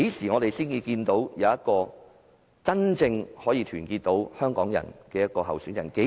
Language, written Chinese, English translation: Cantonese, 我們何時才會有一個真正能夠團結香港人的候選人？, When can we have a candidate who can genuinely unite Hong Kong people?